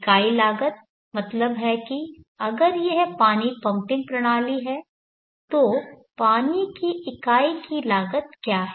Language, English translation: Hindi, Meaning that if it is water pumping system, what is the cost of the unit of the water